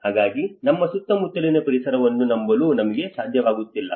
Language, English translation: Kannada, So which means we are even not able to trust our own surroundings